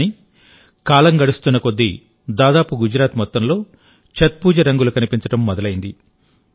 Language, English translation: Telugu, But with the passage of time, the colors of Chhath Puja have started getting dissolved in almost the whole of Gujarat